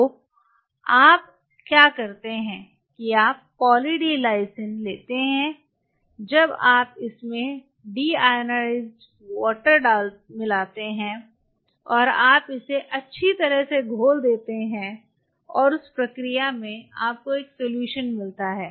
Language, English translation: Hindi, So, what you do is you take Poly D Lysine in a while you mix deionized water into it and you dissolve it thoroughly and, in that process, you get a solution